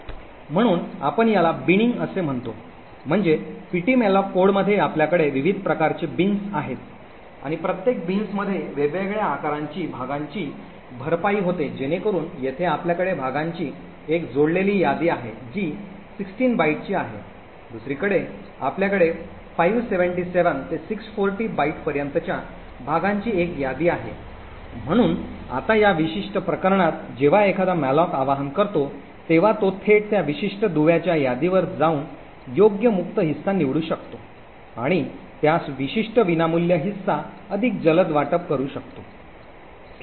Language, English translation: Marathi, So we call this as Binning, so in the ptmalloc code in fact you have various different types of bins and each bin caters to different size of chunks that gets allocated, so for example here we have a linked list of chunks which are of 16 bytes on the other hand we have over here a link list of chunks comprising anything from 577 to 640 bytes, so now in this particular case when a malloc gets invoked it can directly go to that particular link list and select the appropriate free chunk and allocate that particular free chunk much more quickly